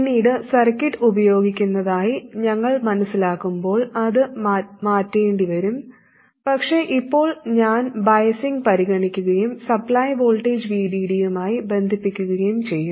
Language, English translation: Malayalam, Later when we realize circuits using it, it will have to be chased but for now I'll concern myself with biasing and connect it to the supply voltage VD